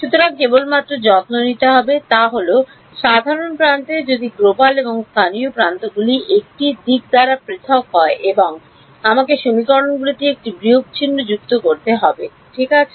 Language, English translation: Bengali, So, the only thing I have to take care of is that on the common edge if the global and the local edges differ by a direction and I have to add a minus sign in the equations ok